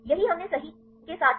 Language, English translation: Hindi, This is what we did right with the